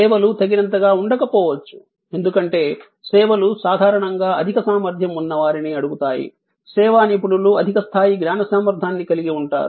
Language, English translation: Telugu, Services may not be good enough, because services usually ask for people of higher caliber, service professionals have higher level of knowledge competency